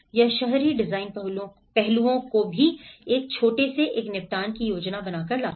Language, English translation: Hindi, This brings even the urban design aspects into a smallest, planning a settlement